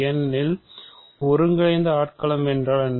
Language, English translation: Tamil, Because what is an integral domain